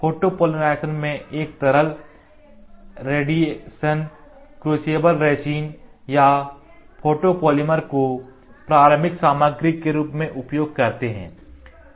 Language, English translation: Hindi, Photopolymerization makes use of a liquid, radiation crucible resin or a photopolymer as their primary material